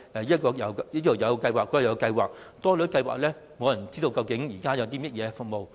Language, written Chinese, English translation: Cantonese, 由於計劃數目眾多，以致無人知道現時究竟有些甚麼服務？, Since there are too many schemes nobody knows what services are being provided